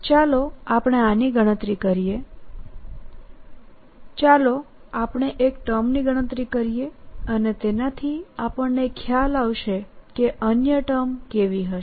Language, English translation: Gujarati, lets calculate one of the terms and that'll give us an idea what the other terms will be like